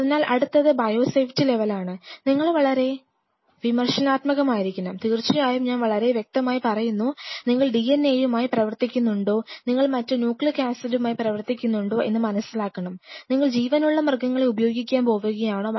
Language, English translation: Malayalam, So, next is biosafety level, what you have to be very critical and in that of course, I have already mentioned you have to very clear are you working with DNA are you working with, you know other forms of nucleic acids and what is so on and so ever